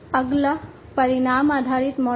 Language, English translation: Hindi, The next one is the outcome based model